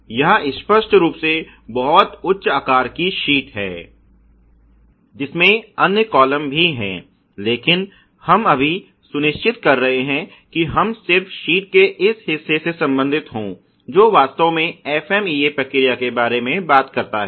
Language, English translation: Hindi, This is obviously of a much higher size sheet which has other columns as well, but we are just making sure, we are just in concerned with only this part of the sheet which talks about the FMEA process actually